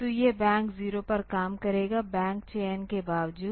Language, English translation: Hindi, So, it will move it from; it will operate on the bank 0; irrespective of bank selection